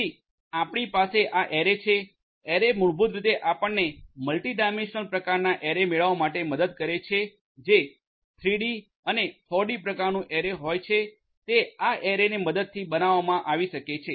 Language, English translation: Gujarati, Then you have this arrays, arrays basically help you to get the multi dimensional; multi dimensional kind of array so it is like a 3D, 4D kind of array it can be built with the help of this arrays